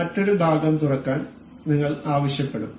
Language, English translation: Malayalam, We will ask for another part to be opened